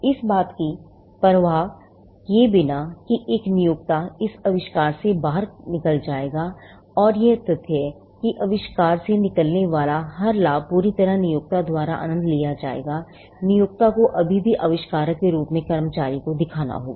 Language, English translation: Hindi, Now, regardless of the gains that an employer will make out of this invention, and the fact that every benefit that flows out of the invention will solely be enjoyed by the employer, the employer will still have to show the employee as the inventor